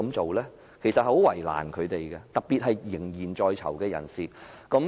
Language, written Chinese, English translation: Cantonese, 這樣其實是很為難他們的，特別是一些仍然在囚的人士。, This will pose a significant problem to them especially some inmates who are still inside the prison